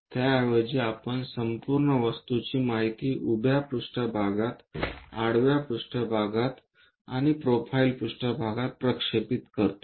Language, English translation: Marathi, Instead of that we project this entire object information on to vertical plane, on to horizontal plane, on to profile plane